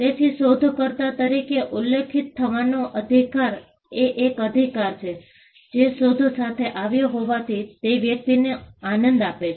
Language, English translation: Gujarati, So, the right to be mentioned as an inventor is a right that the person who came up with the invention enjoys